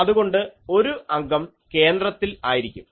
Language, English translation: Malayalam, So, there is one element at the center